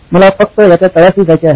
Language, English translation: Marathi, So I just wanted to get to the bottom of it